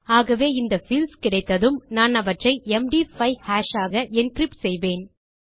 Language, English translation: Tamil, So, as soon as these fields are coming in, I will encrypt them into an md 5 hash